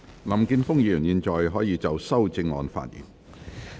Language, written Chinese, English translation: Cantonese, 林健鋒議員，你現在可以就修正案發言。, Mr Jeffrey LAM you may now speak on the amendment